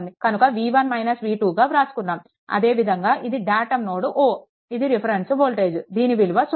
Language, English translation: Telugu, So, v 1 minus v 2, similarly this is your datum node O, this reference voltage is 0, right